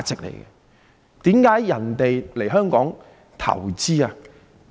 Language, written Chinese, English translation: Cantonese, 為何人們要來香港投資？, Why do people come to invest in Hong Kong?